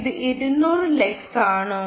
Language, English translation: Malayalam, is it two hundred lux